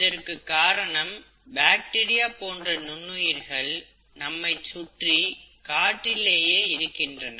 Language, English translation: Tamil, That is because there is these micro organisms, bacteria, and other such organisms are in the air around us